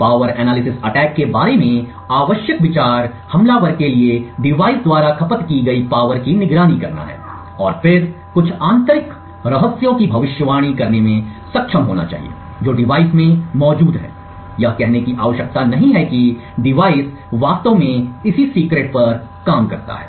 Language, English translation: Hindi, The essential idea about a power analysis attack is for the attacker to monitor the power consumed by the device and then be able to predict some internal secrets which are present in the device, needless to say what is required is that the device is actually operating on that particular secret